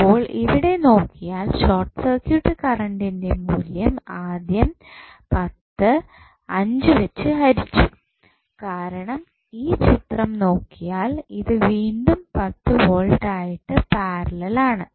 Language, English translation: Malayalam, So, if you see here the value of short circuit current is given by first 10 divided by 5 because if you see this figure this is again in parallel with 10 volt